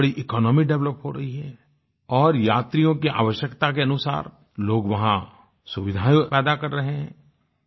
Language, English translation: Hindi, A large economy is developing and people are generating facilities as per the requirement of the tourists